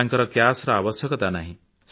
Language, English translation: Odia, It does not need cash